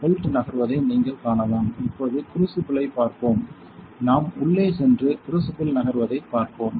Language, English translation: Tamil, So, you can see the belt moving; now let us look at the crucible, we will go inside and look at the crucible moving